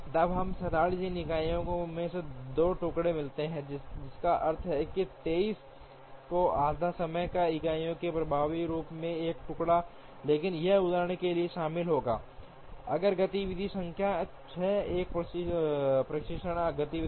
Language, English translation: Hindi, Then we would get 2 pieces in 47 time units, which means effectively one piece in 23 and a half time units, but that would involve for example, creating if activity number 6 is a testing activity